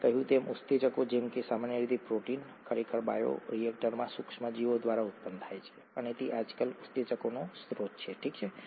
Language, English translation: Gujarati, Enzymes, as we said usually proteins, are actually produced by microorganisms in bioreactors and that is pretty much a source of enzymes nowadays, okay